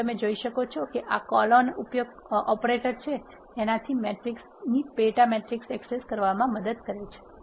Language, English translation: Gujarati, So, you can see this colon operator is helping us in accessing the sub matrices from the matrix